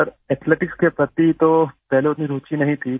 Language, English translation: Hindi, Sir, earlier there was not much interest towards Athletics